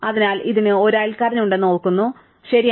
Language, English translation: Malayalam, So, we remember it does have a neighbour, right